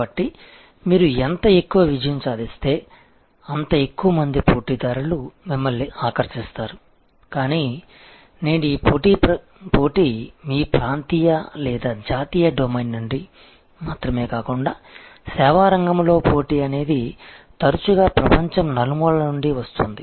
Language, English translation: Telugu, So, the more you succeed, the more competitors you attract, but today these competition is coming not only from your regional or national domain, but competitions in the service field or often coming from all over the world